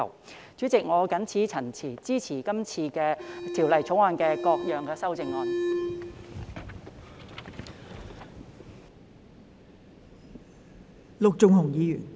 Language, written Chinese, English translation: Cantonese, 代理主席，我謹此陳辭，支持《條例草案》的各項修正案。, With these remarks Deputy Chairman I support the various amendments to the Bill